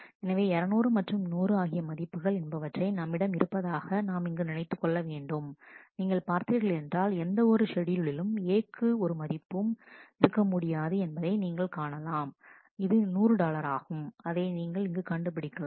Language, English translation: Tamil, So, 200 and 100 are the values that we had assumed here, and you can see that in neither of the schedule A can have a value, which is 100 dollar as we have found here